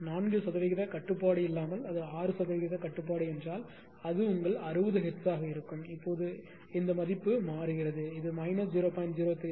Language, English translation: Tamil, Suppose if you there is 4 percent regulation if it is a 6 percent regulation then E then it will be your 60 hertz then value this value will change, right